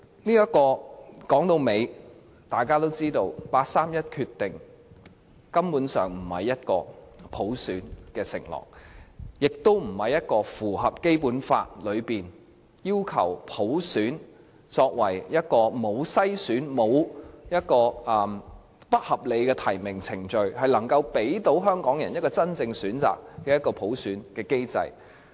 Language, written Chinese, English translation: Cantonese, 然而，說到底，大家都知道，八三一方案根本不是普選的承諾，也不符合《基本法》所訂沒有篩選及沒有不合理提名程序，並能夠給予香港人真正選擇的普選機制。, To put it straight however we all know that the 31 August package is not an undertaking of universal suffrage nor does it comply with the Basic Law as there should not be any screening or unreasonable nomination procedure . Instead it should put in place a universal suffrage mechanism which offers Hong Kong people genuine choices